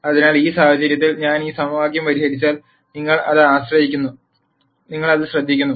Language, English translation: Malayalam, So, in this case you notice that if I solve this equation